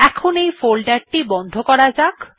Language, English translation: Bengali, Let me close this folder now